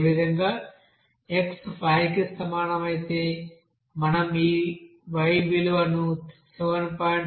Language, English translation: Telugu, Similarly, for x is equal to you know 5 we are getting this y value as 7